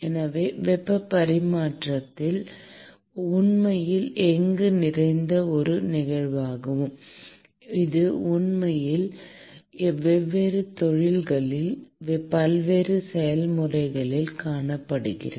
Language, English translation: Tamil, So, the heat transfer is actually a ubiquitous phenomenon which is actually seen in many different processes in different industries